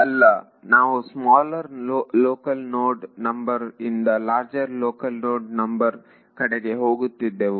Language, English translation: Kannada, No we were going from smaller local node number to larger local node number right